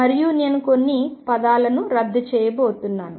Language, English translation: Telugu, And I am going to cancel a few terms